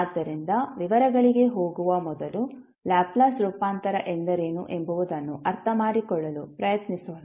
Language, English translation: Kannada, So before going into the details, let's first try to understand what is Laplace transform